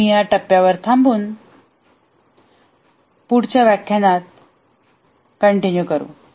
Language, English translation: Marathi, We will stop at this point and continue in the next lecture